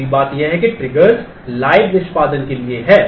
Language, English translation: Hindi, The other thing is there are triggers are for the live execution